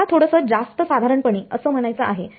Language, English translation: Marathi, I mean a little bit more generally